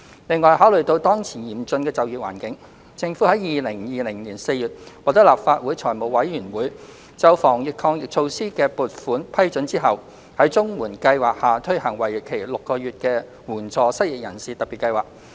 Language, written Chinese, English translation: Cantonese, 另外，考慮到當前嚴峻的就業環境，政府在2020年4月獲得立法會財務委員會就防疫抗疫措施的撥款批准後，在綜援計劃下推行為期6個月的援助失業人士特別計劃。, Meanwhile having regard to the present severe employment situation the Government has after securing funding approval from the Finance Committee FC of the Legislative Council on the anti - epidemic measures in April 2020 launched a six - month Special Scheme of Assistance to the Unemployed under the CSSA framework